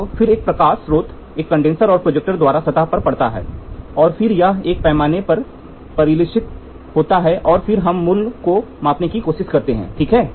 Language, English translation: Hindi, So, then what happens there is a light source, a condenser, a projector which hits at the surface and then this gets reflected on a scale and then we try to measure the value, ok